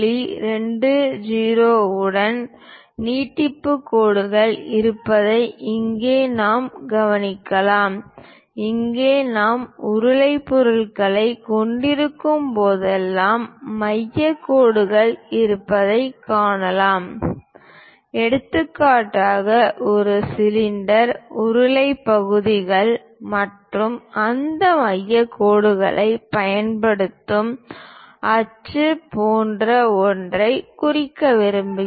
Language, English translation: Tamil, 20 as the basic dimension, here also we can see that there are center lines whenever we have cylindrical objects for example, this is the cylinder, cylindrical portions and would like to represent something like an axis we use that center lines